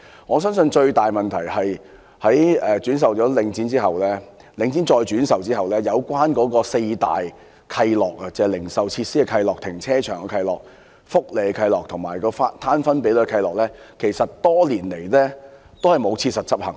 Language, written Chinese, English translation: Cantonese, 我相信最大的問題是領展把物業轉售後，"四大契諾"，即關於零售設施、停車場、福利及分攤比率的契諾，其實多年來並無切實執行。, I believe the greatest problem is that since Link REIT resold the properties the four main covenants ie . covenants relating to retail facilities car parks welfare and the split ratio actually have not been enforced practically over the years